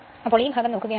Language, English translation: Malayalam, So, if you consider this part